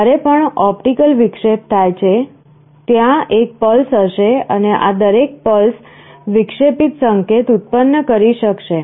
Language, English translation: Gujarati, Every time there is an optical interruption, there will be a pulse and each of these pulses will be generating an interrupt signal